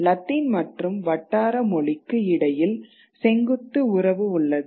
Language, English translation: Tamil, The relationship between Latin and the vernacular is a vertical one